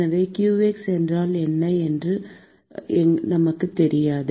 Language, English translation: Tamil, So, we do not know what qx is